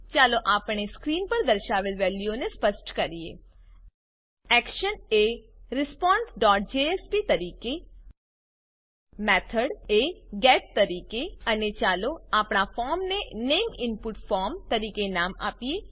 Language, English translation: Gujarati, Let us Specify the values as been shown on the screen: The Action as response.jsp The Method as GET And lets us give our form a name as Name input form